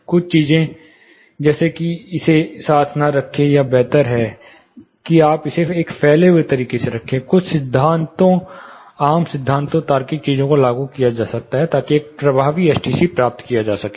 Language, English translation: Hindi, Certain common things like you know do not place it side by side, it is a better you know advisable thing to place it in a staggered manner, anything like you know staggering these, some principles common principles logical things can be apply, so that an effective STC can be attained